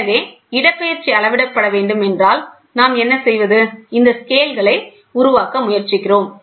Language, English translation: Tamil, So, if the displacement has to be measured, then what we do is, we try to create these scales, ok